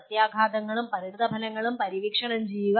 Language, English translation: Malayalam, Exploring implications and consequences